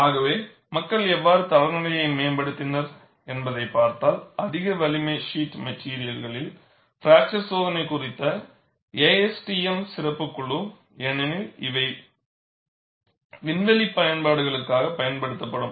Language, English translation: Tamil, And, if you look at how people have proceeded in evolving the standard for ASTM special committee on fracture testing of high strength sheet materials, because these were used for aerospace applications